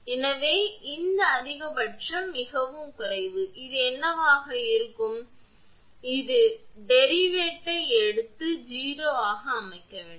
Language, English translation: Tamil, So, E max is minimum when this one, what will happen you have to take that derivate of this one and set it to 0